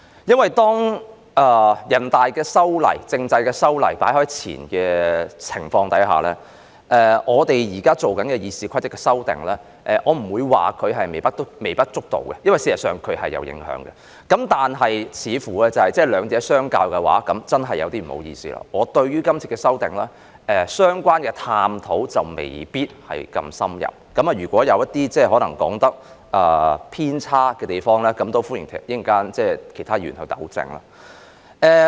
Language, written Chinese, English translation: Cantonese, 在面對全國人民代表大會通過修改香港選舉制度的決定的當前，我們現在進行修訂《議事規則》，我不會說後者是微不足道，因為事實上也會有所影響；但是，當比較兩者的時候——我要說聲不好意思——我對這次修訂的探討沒有這麼深入，如果我的發言內容有偏差的話，歡迎其他議員作出糾正。, In the face of the recent passage of the Decision on amending Hong Kongs electoral system by the National Peoples Congress NPC we are now making amendments to RoP . I will not say that the latter is insignificant because it actually will also have an impact . However when making a comparison between them―I have to say sorry―since I have not done any in - depth study on this amendment exercise if what I am going to say is not entirely correct Members are welcome to correct me